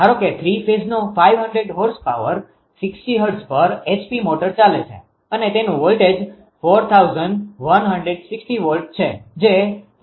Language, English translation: Gujarati, Assume that a three phase 500 horse power h motor operating as 60 hertz and its voltage is 4160 volts that is 4